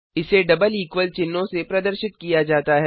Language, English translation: Hindi, It is denoted by double equal (==) signs